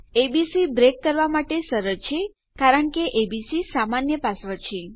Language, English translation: Gujarati, Obviously, abc will be an easy one to break into as the turn goes because abc will be a common password